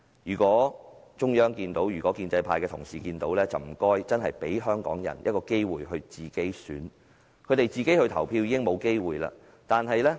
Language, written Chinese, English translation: Cantonese, 如果中央或建制派的同事真的找得到，請他們給予香港人一個機會自行選擇，因為他們已經沒有投票的機會。, If the Central Authorities or Members of the pro - establishment camp really comes across such a candidate please give Hong Kong people an opportunity to make their own choice as they are already deprived of the right to vote